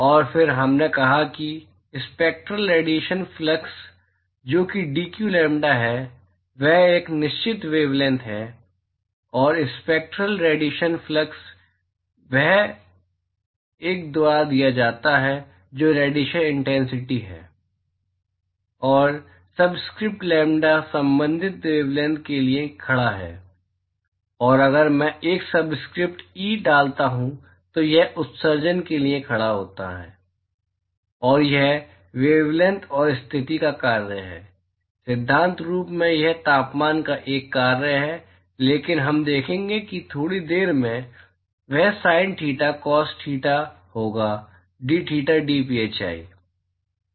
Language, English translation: Hindi, And then we said that, the spectral radiation flux, which is dq lambda, that is the spectral radiation flux at a certain wavelength, and that is given by I, which is the radiation intensity, and the subscript lambda stands for the corresponding wavelength, and if I put a subscript e, it stands for emission, and that is the function of wavelength and position, in principle it is a function of temperature, but we will see that in a short while, that will be sin theta, cos theta, dtheta, dphi